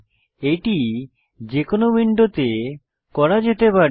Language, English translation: Bengali, This can be done to any window